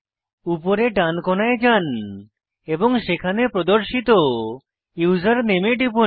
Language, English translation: Bengali, Go to the right hand side corner and click on the username displayed there